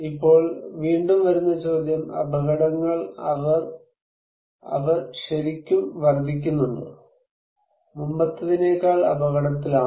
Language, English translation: Malayalam, Now, coming also the question; are dangerous really increasing, are we really at risk than before